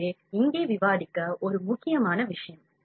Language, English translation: Tamil, So, this is an important thing to discuss here